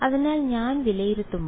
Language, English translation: Malayalam, So, when I evaluate